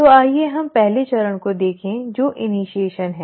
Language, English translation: Hindi, So let us look at the first stage which is initiation